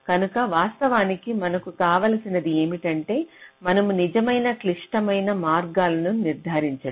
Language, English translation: Telugu, so actually what you want is that we want to determine the true critical paths